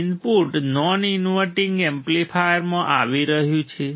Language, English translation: Gujarati, Input is coming to the non inverting amplifier